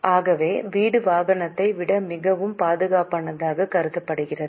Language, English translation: Tamil, So, house is considered to be much more safer asset than vehicle